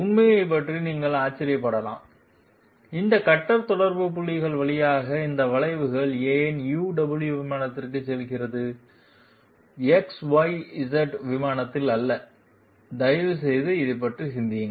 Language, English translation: Tamil, You might wonder about the fact, why is this curve through all these cutter contact points done on the UW plane and not on the XYZ plane, please think about this